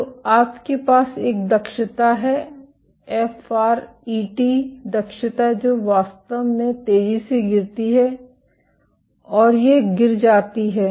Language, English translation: Hindi, So, you have an efficiency FRET efficiency which falls off really fast and this fall off